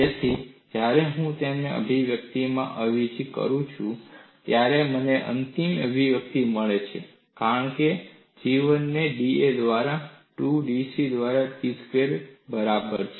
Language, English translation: Gujarati, So, when I substitute it in this expression, I get the final expression as G 1 equal to P square by 2B dC by da